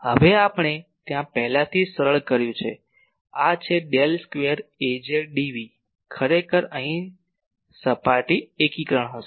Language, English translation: Gujarati, Now, there we have already simplified these are Del square Az dv will be actually here surface integration